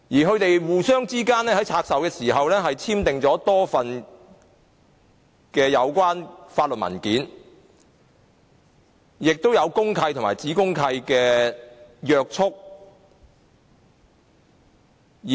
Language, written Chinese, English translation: Cantonese, 他們在拆售時互相簽訂了多份相關法律文件，亦受公契和子公契的約束。, They jointly signed a number of legal documents during divestment and were bound by the deeds of mutual covenant and sub - deeds of mutual covenant